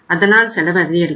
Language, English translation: Tamil, So it means it is the cost